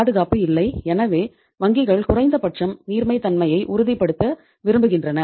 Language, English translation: Tamil, There is no security so banks want to ensure the liquidity at least